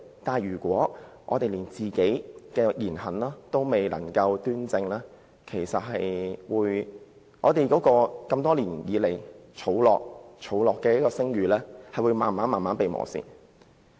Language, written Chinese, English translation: Cantonese, 不過，如果我們連自己的言行亦未能端正，本會多年來建立的聲譽便會慢慢被磨蝕。, However if we cannot even rectify our own words and deeds the reputation the Council has built over the years would be eroded